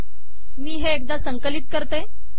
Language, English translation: Marathi, Now let me compile this